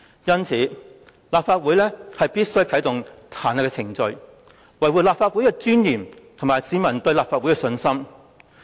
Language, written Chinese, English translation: Cantonese, 因此，立法會必須啟動彈劾程序，以維護立法會的尊嚴和市民對立法會的信心。, In that case the Legislative Council must activate the impeachment process to uphold the dignity of the Council and restore peoples confidence in this Council